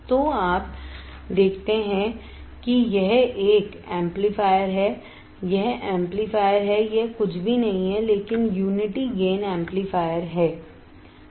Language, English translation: Hindi, So, you see this is an amplifier this is amplifier, it is nothing, but unity gain amplifier